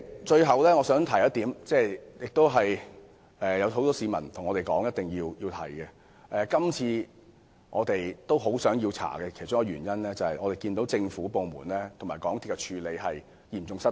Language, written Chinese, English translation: Cantonese, 最後，我想提出一點——這亦是很多市民要求我們提出的論點——我們希望調查事件的原因之一，是因為看到政府部門和港鐵公司的處理嚴重失當。, Lastly I wish to raise one more point as requested by many people . One of the reasons for us to call for an inquiry is that government departments and MTRCL have made serious mistakes in handling this incident